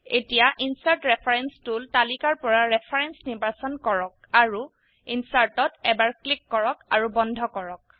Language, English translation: Assamese, Now choose Reference in the Insert reference tool list and click on Insert once and close